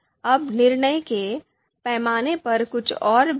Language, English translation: Hindi, Now few more points on judgment scale